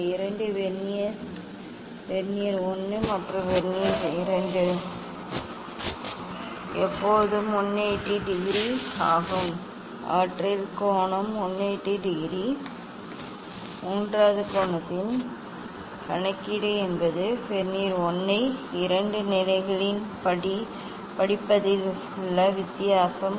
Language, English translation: Tamil, These two Vernier s are they difference in reading of Vernier 1 and Vernier 2 is always 180 degree their angle is 180 degree third one is calculation of angle is the difference in reading of Vernier 1 in two positions